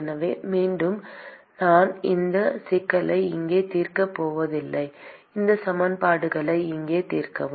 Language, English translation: Tamil, So, again I am not going to solve this problem here solve this equations here